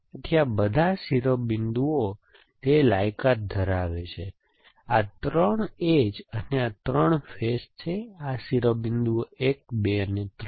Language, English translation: Gujarati, So, all this vertices qualify, so these are 3 edges three edges and 3 faces coming to meet there, these vertices 1, 2 and 3